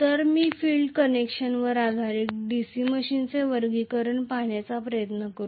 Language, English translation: Marathi, So, let me try to look at the classification of the DC machine based on field connection